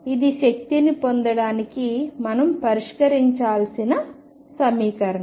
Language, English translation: Telugu, This is the equation that we have to solve to get the energies